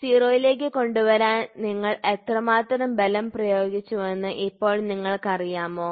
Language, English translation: Malayalam, So, now you know how much have you applied such that brought it to 0